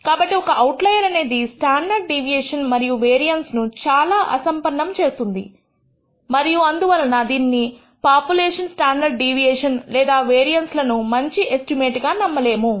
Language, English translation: Telugu, So, a single outlier can cause the standard deviation and the variance to become very poor and therefore cannot be trusted as a good estimate of the population standard deviation or variance